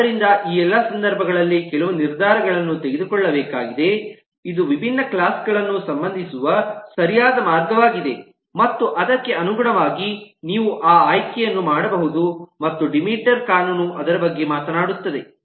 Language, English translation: Kannada, so there is certain decisions to be made in all these cases as to which one is the right way to relate different classes and accordingly, you can, you should make that choice and that is what the law of demeter talks about